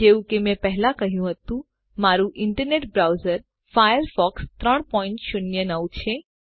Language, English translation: Gujarati, As I said before, my internet browser is Firefox 3.09